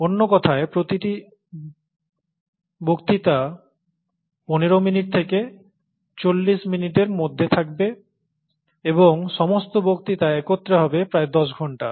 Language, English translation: Bengali, In other words, each lecture would be about anywhere between fifteen minutes to about forty minutes and all the lectures put together would be about a total of ten hours